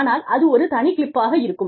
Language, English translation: Tamil, But, that will be a separate clip